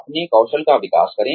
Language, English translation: Hindi, Develop your skills